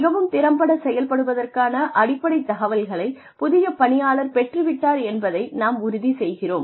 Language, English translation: Tamil, We make sure, the new employee has the basic information to function effectively